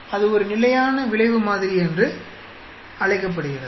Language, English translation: Tamil, That is called a fixed effect model